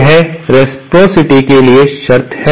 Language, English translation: Hindi, This is the condition for reciprocity